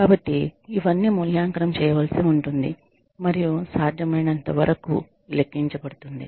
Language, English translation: Telugu, So, all of this, will need to be evaluated, and quantified as far as possible